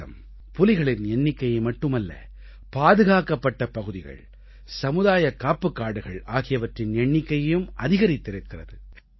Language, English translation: Tamil, Not only the tiger population in India was doubled, but the number of protected areas and community reserves has also increased